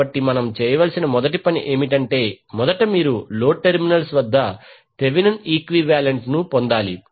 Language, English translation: Telugu, So first task what we have to do is that first you need to obtain the Thevenin equivalent at the load terminals